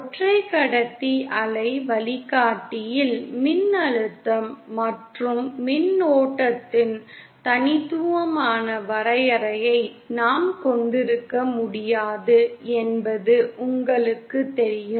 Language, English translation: Tamil, You know that in a single conductor waveguide we cannot have a unique definition of voltage and current